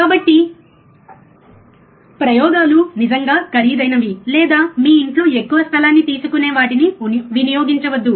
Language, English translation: Telugu, So, do not do experiments are really costly or which consumes lot of space in your home